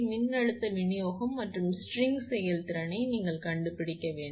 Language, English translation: Tamil, You have to find out the voltage distribution and string efficiency